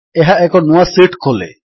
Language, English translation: Odia, This opens the new sheet